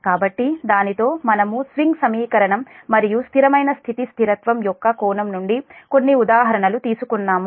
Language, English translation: Telugu, so with that we have taken few examples from the point of view of swing equation as well as steady state stability